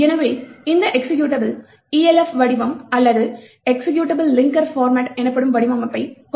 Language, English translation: Tamil, So, this executable has a particular format known as the ELF format or Executable Linker Format